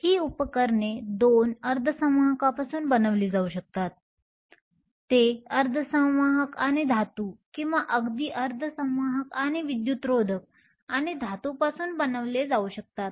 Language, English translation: Marathi, So, these devices could be made from two semiconductors; they could be made from a semiconductor and a metal or even a semiconductor and insulator and a metal